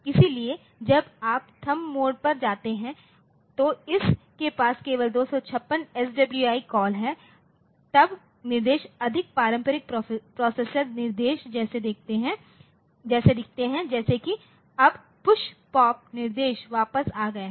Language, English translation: Hindi, So, when you go to the THUMB mode so, it has got only 256 SWI calls then the instructions look more like conventional processors instruction like PUSH, POP instructions are back now, ok